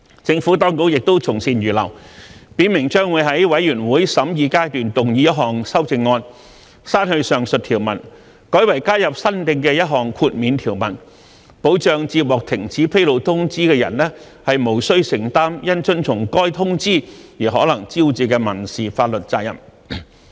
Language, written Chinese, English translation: Cantonese, 政府當局亦從善如流，表明將在全體委員會審議階段動議一項修正案，刪去上述條文，改為加入新訂的一項豁免條文，保障接獲停止披露通知的人無須承擔因遵從該通知而可能招致的民事法律責任。, The Administration has been receptive to their views and has made it clear that it will propose a Committee stage amendment to delete the aforementioned provision and replace it with a new immunity clause which will protect the recipient of a cessation notice from potential civil liability arising from compliance with the cessation notice